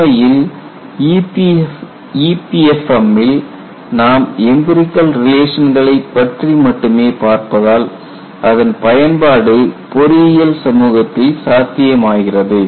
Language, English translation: Tamil, In fact, in EPFM you see only empirical relations because that is how engineering community has found utilization of EPFM possible